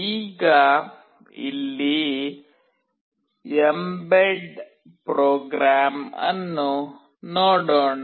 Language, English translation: Kannada, Now, let us see the mbed program here